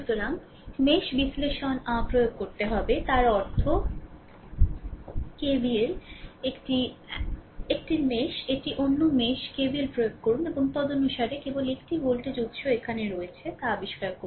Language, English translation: Bengali, So, we have to apply your mesh analysis ah; that means, KVL this is 1 mesh; this is another mesh, you apply KVL and accordingly, you find out only thing is that 1 voltage source is here